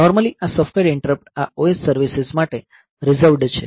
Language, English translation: Gujarati, So, normally this is, software interrupts are reserved for this OS services